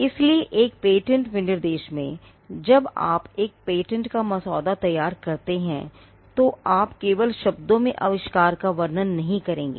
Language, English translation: Hindi, So, in a patent specification, when you draft a patent, you will not merely describe the invention in words